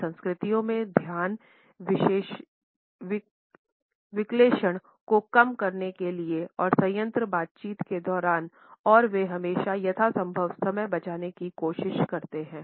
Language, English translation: Hindi, The focus in these cultures is somehow to reduce distractions during plant interactions and they always try to save time as much as possible